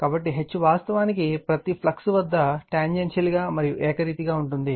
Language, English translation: Telugu, So, H actually at every flux is tangential and uniform right